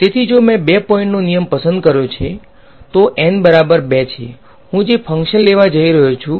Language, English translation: Gujarati, So, if I chose a 2 point rule right so, N is equal to 2 this is my, the function that I am going to take